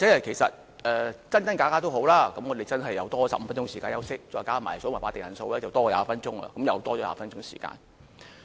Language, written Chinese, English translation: Cantonese, 其實真真假假也好，我們又真是有多15分鐘時間休息，再加上計算法定人數的時間，我們便多了20分鐘的時間。, Actually no matter it is true or false we have 15 minutes extra time to repose in addition to the time on the counting of the quorum . We have 20 minutes extra time in total